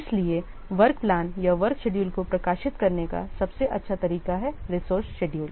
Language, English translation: Hindi, So, work plans or the work schedules are the best ways of publishing the schedules, the resource schedules